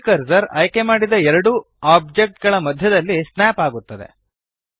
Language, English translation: Kannada, The 3D cursor snaps to the centre of the two selected objects